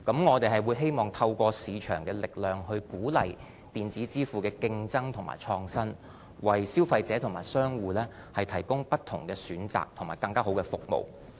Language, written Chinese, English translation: Cantonese, 我們希望透過市場的力量，鼓勵電子支付的競爭和創新，為消費者和商戶提供不同的選擇和更優質的服務。, It is our wish to encourage competition and innovation in electronic payment through market forces with a view to providing various options and better services to consumers and traders